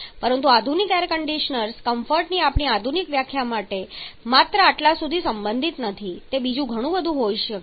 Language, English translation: Gujarati, But modern air conditioners there our modern definition of content does not restrict only to this to that can be several others